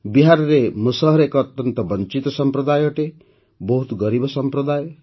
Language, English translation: Odia, Musahar has been a very deprived community in Bihar; a very poor community